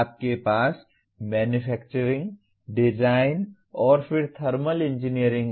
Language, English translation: Hindi, You have Manufacturing, Design and then Thermal Engineering